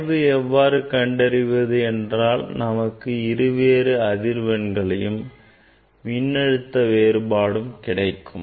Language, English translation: Tamil, slope how you will get, you will get two voltage corresponding two frequency ok, difference of frequency and difference of voltage